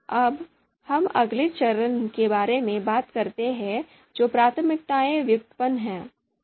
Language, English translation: Hindi, Now let us talk about the next step that is priorities derivation